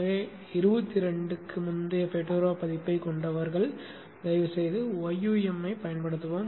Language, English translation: Tamil, So people having Fedora version earlier than 22 kindly use YUM